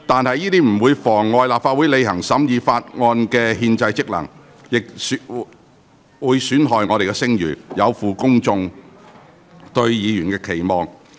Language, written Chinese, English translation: Cantonese, 這不但妨礙立法會履行審議法案的憲制職能，亦損害立法會的聲譽，有負公眾對議員的期望。, His act has obstructed the Council in performing its constitutional function of scrutinizing the Bill damaged the reputation of the Council and fell short of public expectation of Members